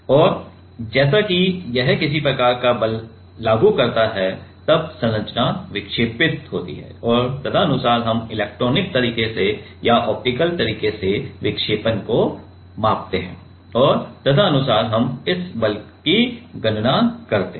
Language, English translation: Hindi, And, as it applies some kind of force, then the structure deflects and accordingly we measure the deflection by electronic way by or optical way and accordingly, we calculate the force